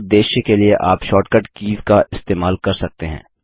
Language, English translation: Hindi, You can use the short cut keys for this purpose